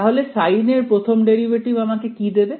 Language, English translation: Bengali, So, first derivative of sine will give me